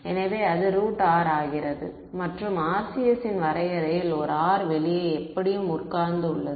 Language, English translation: Tamil, So, it becomes root r and in the definition of the RCS there is a r sitting outside anyway